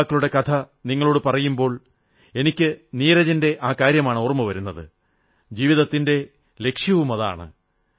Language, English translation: Malayalam, And when I mention the glorious journey of these youth, I am reminded of Neeraj ji's line which sum up the raison d'etre of life